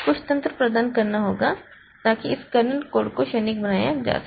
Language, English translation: Hindi, Some mechanism has to be provided so that this kernel code can be made transient